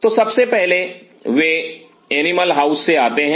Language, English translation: Hindi, So, first of all they arrive from the animal house